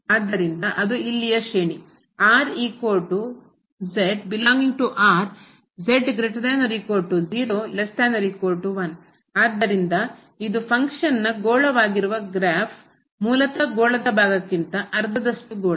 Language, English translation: Kannada, So, this is the graph of this function which is the sphere basically the half sphere above part of the sphere